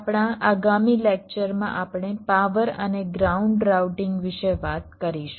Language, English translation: Gujarati, in our next lecture we shall be talking about power and ground routing